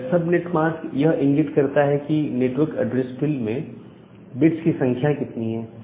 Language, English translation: Hindi, So, this subnet mask it denote the number of bits in the network address field